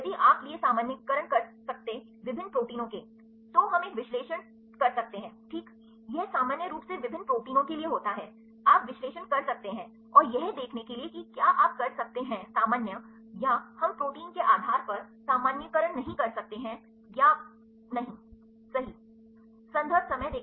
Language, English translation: Hindi, If you can generalize for the different proteins, then we can make an analyses ok, this is the case for the general generally for different proteins, you can do analyses and to see whether you can generalize, or we cannot generalize depending upon the protein or not right